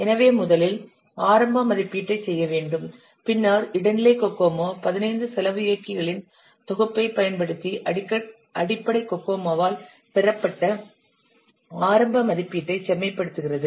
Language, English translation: Tamil, So first you have to make the initial estimate, then the intermediate Kokomo refines the initial estimate which is obtained by the basic Kokomo by using a set of 15 cost drivers